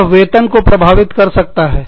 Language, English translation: Hindi, It can affect, compensation